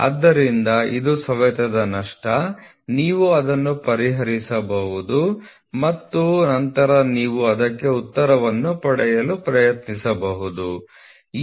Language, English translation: Kannada, So, you can have wear you can solve it and then you try to get the answer for it